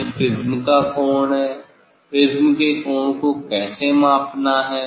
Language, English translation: Hindi, this is the angle of the prism, how to measure the angle of the prism